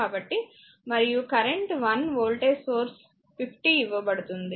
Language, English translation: Telugu, So, and the I current voltage source is given 50